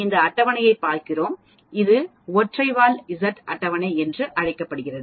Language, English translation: Tamil, If we look at this table this is called a single tail Z table